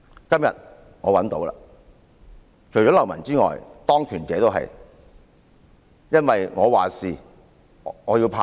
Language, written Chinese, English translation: Cantonese, 今天我找到了，除了流氓外，當權者也如是，因為"我話事，我要怕誰？, Today I find it . In addition to rogues those in positions of authorities are such people because they think I am in power so who am I afraid of?